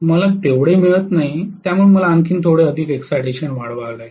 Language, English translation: Marathi, I am not getting even that much, so I have to increase the excitation little further